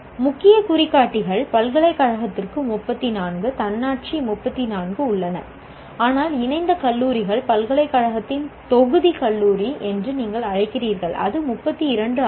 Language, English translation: Tamil, Key indicators are for university there are 34, autonomous also 34, but affiliated colleges are what do you call constituent college of the university also